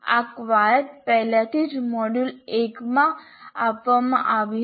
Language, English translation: Gujarati, This exercise we already asked in the module 1